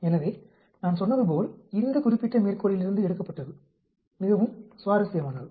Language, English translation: Tamil, So, as I said this was taken from this particular reference paper, very interesting